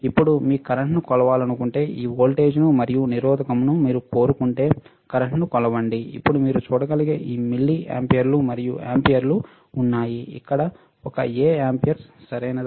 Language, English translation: Telugu, Now, if you want to measure current, right this voltage, and resistance, if you want to measure the current, then we have this milliamperes and amperes you can see milliamperes mA amperes a capital A here, right